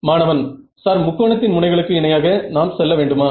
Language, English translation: Tamil, Sir, do we have to like travel along of the edges of the triangle